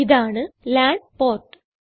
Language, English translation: Malayalam, And this is a LAN port